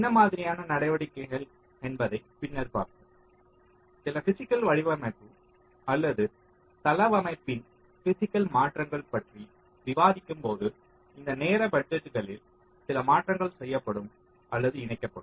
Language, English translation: Tamil, that we shall see later when we discuss some physical design or some physical alterations to the layout, such that some of this time budgets can be incorporated, or the modifications done